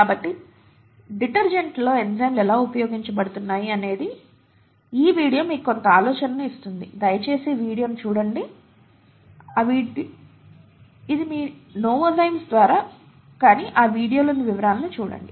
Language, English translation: Telugu, So this video gives you some idea as to how enzymes are used in detergents, please take a look at this video, it’s by novozymes but look at the the details in that video